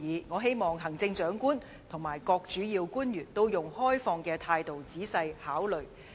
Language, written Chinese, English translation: Cantonese, 我希望行政長官和各主要官員能以開放的態度，仔細考慮這些建議。, They have made a lot of constructive suggestions and I hope the Chief Executive and all principal officials will consider these suggestions in detail with an open attitude